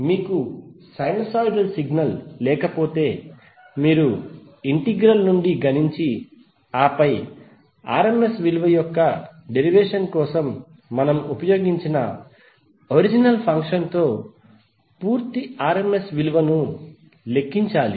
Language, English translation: Telugu, If you do not have sinusoid signal it means that you have to compute from the integral and then calculate the complete rms value with the help of the original function which we just used for derivation of rms value